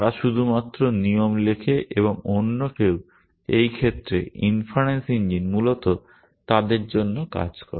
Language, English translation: Bengali, They only write the rules and somebody else in this case inference engine does the work for them essentially